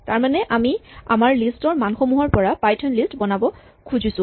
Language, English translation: Assamese, So, we want to create a python list from the values in our list